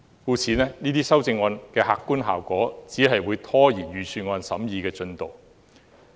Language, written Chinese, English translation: Cantonese, 這些修正案的客觀效果只是拖延財政預算案的審議進度。, They simply serve to procrastinate the scrutiny progress of the Budget